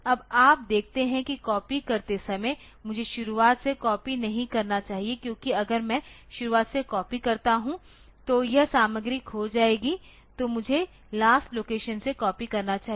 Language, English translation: Hindi, Now you see that while doing the copy I should not copy from the beginning because if I copy from the beginning then this content will be lost so, I should copy from the last location onwards